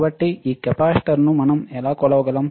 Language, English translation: Telugu, So, how we can measure this capacitor